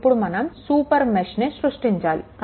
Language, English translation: Telugu, Now, we will create a super mesh